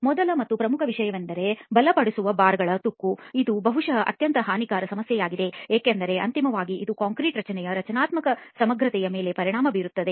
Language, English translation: Kannada, The first and foremost issue is the corrosion of reinforcing bars and that is probably the most deleterious problem because ultimately it effects the structural integrity of the concrete structure